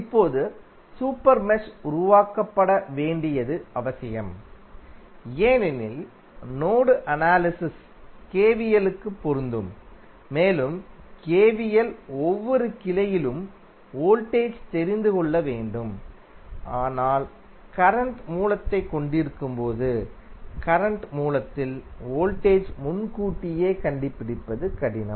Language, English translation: Tamil, Now, super mesh is required to be created because mesh analysis applies to KVL and the KVL requires that we should know the voltage across each branch but when we have the current source we it is difficult to stabilized the voltage across the current source in advance